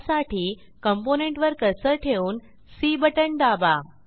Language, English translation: Marathi, For this, keep the cursor on the component and then press c